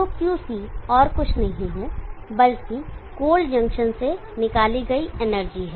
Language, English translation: Hindi, Let us say Qc amount of energy is removed from the cold junction